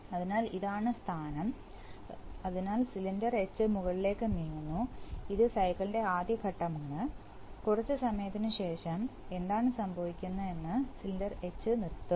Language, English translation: Malayalam, So, this is the position and so the cylinder H is extending going up, this is the first phase of the cycle, after sometime what will happen is that cylinder H will stop